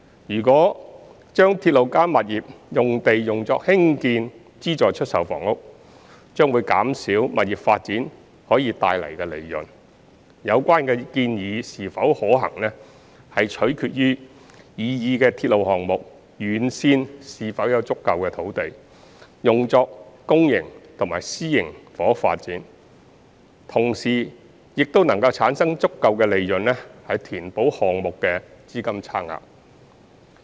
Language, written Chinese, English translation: Cantonese, 如果將"鐵路加物業"用地用作興建資助出售房屋，將減少物業發展可帶來的利潤，有關建議是否可行，取決於擬議的鐵路項目沿線是否有足夠土地用作公營及私營房屋發展，同時又能產生足夠利潤填補項目資金差額。, If the RP site is used for the construction of Subsidised Sale Flats it will reduce the profit that can be brought about by the property development . The feasibility of such recommendation depends on whether there are sufficient sites along the proposed railway for public and private housing development while generating sufficient profit to bridge the funding gap